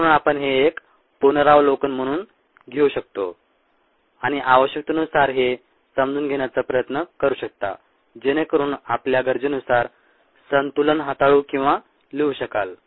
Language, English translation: Marathi, so you could take this as a review and try to understand this to the extent needed to be able to manipulate ah or write balances according to our need to do that